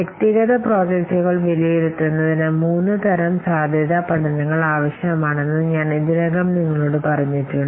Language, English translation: Malayalam, I have already told you that three kinds of feasibility studies are required to evaluate individual projects